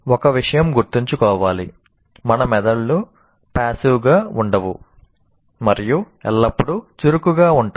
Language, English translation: Telugu, And one thing should be remembered, our brains are constantly active